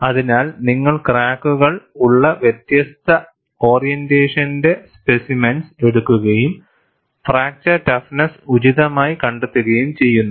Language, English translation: Malayalam, So, you take specimens of different orientation, with cracks and find out the fracture toughness appropriately